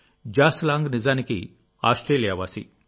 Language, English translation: Telugu, John Lang was originally a resident of Australia